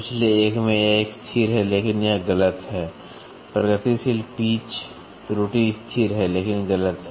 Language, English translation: Hindi, In the previous one it is constant, but it is incorrect progressive pitch error is constant, but incorrect